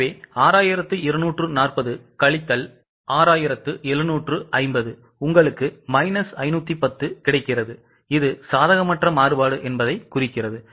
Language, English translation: Tamil, So, 6 240 minus 6750 you get minus 510 indicating that it is an unfavorable variance